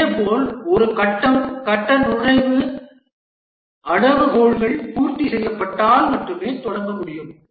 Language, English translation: Tamil, Similarly, a phase can start only when its phase entry criteria have been satisfied